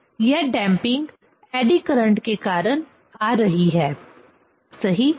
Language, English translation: Hindi, So, this damping is coming due to the eddy current, right